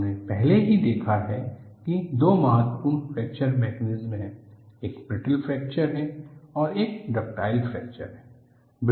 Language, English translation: Hindi, We have already noticed, that there are 2 important fracture mechanisms; one is brittle fracture; another is ductile fracture